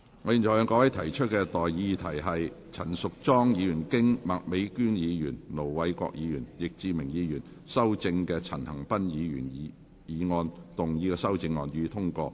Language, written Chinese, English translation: Cantonese, 我現在向各位提出的待議議題是：陳淑莊議員就經麥美娟議員、盧偉國議員及易志明議員修正的陳恒鑌議員議案動議的修正案，予以通過。, I now propose the question to you and that is That Ms Tanya CHANs amendment to Mr CHAN Han - pans motion as amended by Ms Alice MAK Ir Dr LO Wai - kwok and Mr Frankie YICK be passed